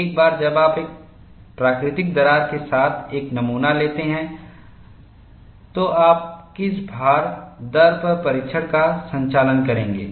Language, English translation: Hindi, Once you have a specimen with a natural crack, at what loading rate would you conduct the test